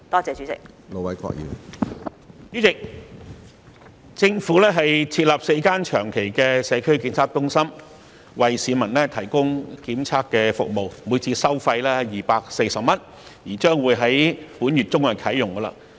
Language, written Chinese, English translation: Cantonese, 主席，政府將設立4個長期的社區檢測中心為市民提供檢測服務，每次收費240元，並將於本月中啟用。, President the Government will set up four long - term Community Testing Centres to provide testing services for members of the public . These centres charging 240 per test will commission in the middle of this month